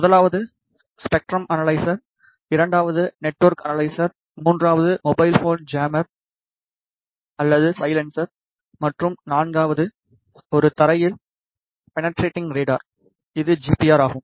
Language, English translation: Tamil, The first one is spectrum analyzer, the second is network analyzer, the third is mobile phone jammer or silencer and the fourth one is ground penetrating radar which is GPR